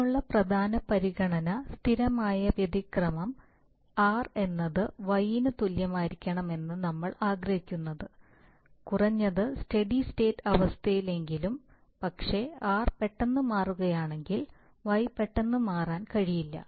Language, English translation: Malayalam, And the major consideration for that is steady state error that is we want that r should be equal to Y, at least in the steady state obviously if r suddenly changes y cannot suddenly change